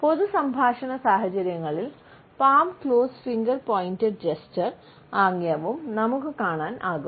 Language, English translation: Malayalam, In public speech situation, we also come across the palm closed finger pointed gesture